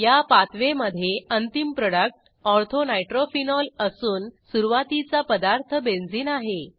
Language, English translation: Marathi, In this pathway, the final product is Ortho nitrophenol and the starting material is Benzene